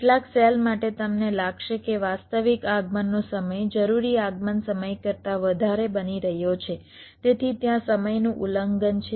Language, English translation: Gujarati, you may find that the actual arrival time is becoming greater than the required arrival time, so there is a timing violation there